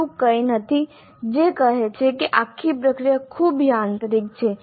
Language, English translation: Gujarati, There is nothing which says that the entire process is too mechanical